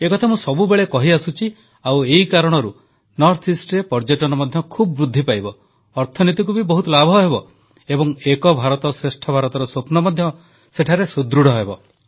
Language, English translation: Odia, I always tell this fact and because of this I hope Tourism will also increase a lot in the North East; the economy will also benefit a lot and the dream of 'Ek bharat